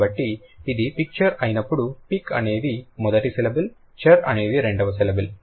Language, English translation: Telugu, So, when it's picture, pick is the first syllable, cheer is the second syllable